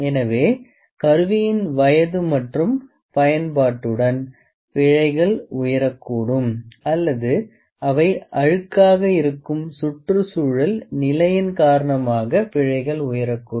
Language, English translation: Tamil, So, the instrumental errors might rise with life, with aging or with use or may be the environmental conditions those are dirty